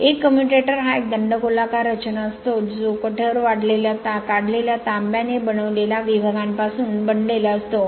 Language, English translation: Marathi, A commutator is a cylindrical structure built up of segments made up of hard drawn copper